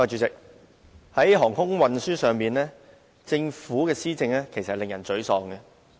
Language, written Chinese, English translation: Cantonese, 主席，在航空運輸上，政府的施政令人沮喪。, President in respect of air transport the policies of the Government are rather disappointing